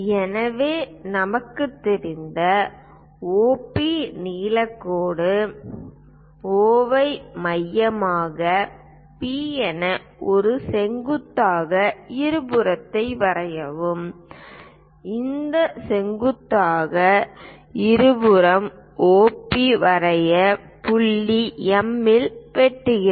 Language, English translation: Tamil, So, OP length line we know, use equal distances O as centre P as centre draw a perpendicular bisector and this perpendicular bisector cuts OP line at point M